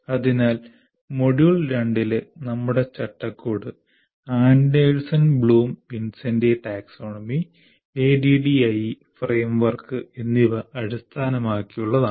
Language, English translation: Malayalam, So our framework here in the module 2 is based on Anderson Bloom Wincente taxonomy and ADD framework